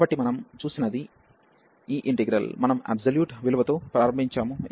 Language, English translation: Telugu, So, what we have seen that this integral, which we have started with the absolute value